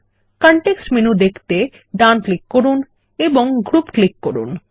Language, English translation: Bengali, Right click for the context menu and click Group